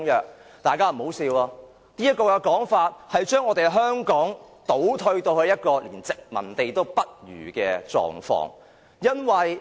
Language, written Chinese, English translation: Cantonese, 請大家不要發笑，這說法其實便是把香港倒退到一個連殖民地也不如的狀況。, Please do not laugh for this implies that Hong Kong will regress to a state which is even worse than a colony